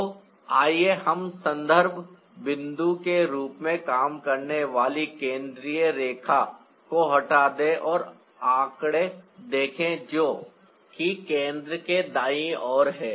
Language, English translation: Hindi, so let's remove the central line that worked as a reference point and see the figures